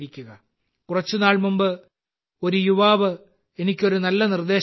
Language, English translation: Malayalam, Some time ago a young person had offered me a good suggestion